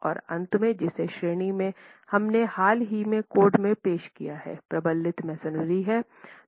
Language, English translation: Hindi, And finally the category that we have recently introduced into the code which is reinforced masonry